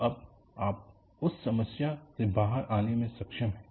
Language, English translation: Hindi, Now, you are able to come out of that problem